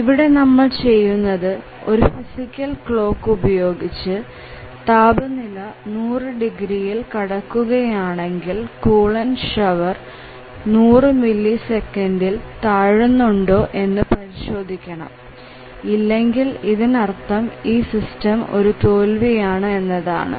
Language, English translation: Malayalam, So, here once the temperature exceeds 500 degrees then we need to set a physical clock and then check whether the coolant shower is actually getting on within 100 millisecond otherwise the system would be considered as failed